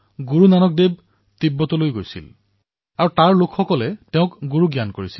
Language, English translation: Assamese, Guru Nanak Dev Ji also went to Tibet where people accorded him the status of a Guru